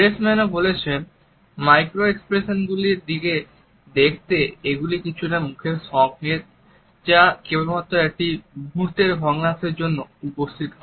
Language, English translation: Bengali, Freshman also says to look out for micro expressions which are some facial cues that appear for only a split second